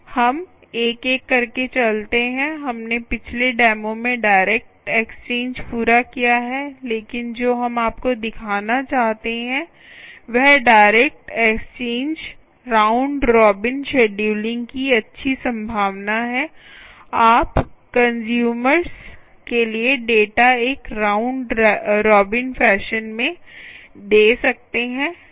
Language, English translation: Hindi, we completed direct exchange in the previous demo, but what we would also like to show you is the nice possibility of direct exchange, round robin scheduling ok, you can do a round robin kind of data